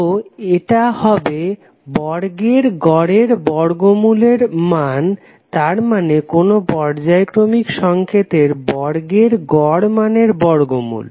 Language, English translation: Bengali, So this will become the root mean square value that means the square root of the mean of the square of the periodic signal